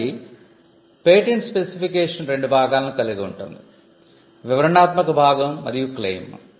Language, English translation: Telugu, So, the patent specification includes the description and the claims